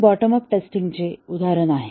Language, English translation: Marathi, This is an example of bottom up testing